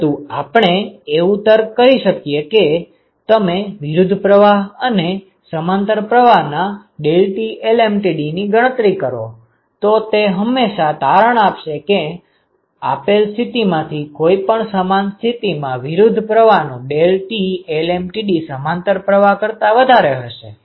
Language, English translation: Gujarati, So, the rationale is if you calculate the deltaT lmtd of counter flow and, if you calculate the deltaT lmtd for a parallel flow ok, it always turns out that for a given condition the delta T lm t d for counter flow is always greater than the deltaT lmtd for parallel flow with same condition